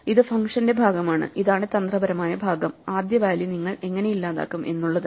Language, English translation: Malayalam, This is part of the function; this is the tricky part which is how do you delete the first value